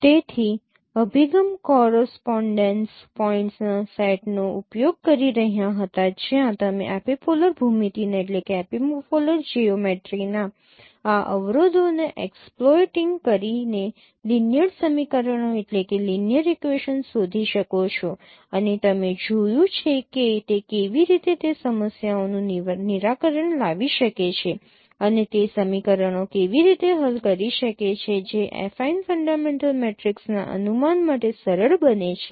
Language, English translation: Gujarati, So that approach was using the set of correspondence points where you can form a linear equations exploiting these constraints of epipolar geometry and we have seen how it you can solve those problems solve those equations which becomes simpler for the case of affine fundamental matrix estimation